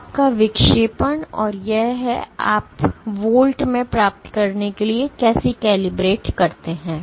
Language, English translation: Hindi, So, your deflection and this is how you calibrate to obtain InVols